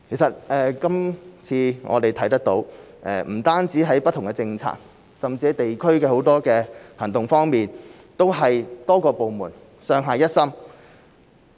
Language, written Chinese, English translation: Cantonese, 這次我們看到不止不同政策，甚至許多地區行動方面都是多個部門上下一心。, We have seen this time around that various departments are united as one in terms of not only policies but also district operations